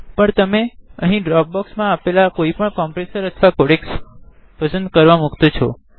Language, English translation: Gujarati, But you are free to choose any of the compressors or codecs given in the drop down box here